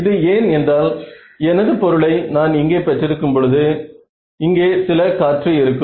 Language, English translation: Tamil, So, this is why when I have my object over here I need to have some air over here right